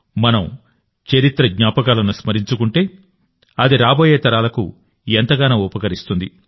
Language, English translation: Telugu, When we cherish the memories of history, it helps the coming generations a lot